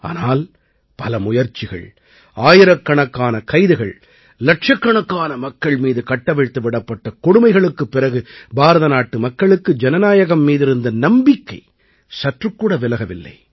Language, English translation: Tamil, But even after many attempts, thousands of arrests, and atrocities on lakhs of people, the faith of the people of India in democracy did not shake… not at all